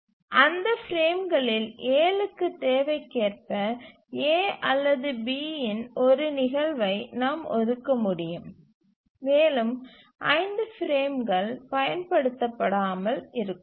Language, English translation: Tamil, So 12 frames to 7 of those frames we can assign an instance of A or B as required and 5 frames will remain unutilized